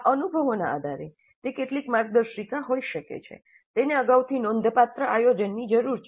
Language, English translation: Gujarati, Based on these experiences, some of the guidelines can be that the first thing is that it requires substantial planning in advance